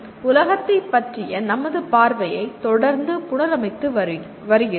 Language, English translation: Tamil, So we are continuously reconstructing our view of the world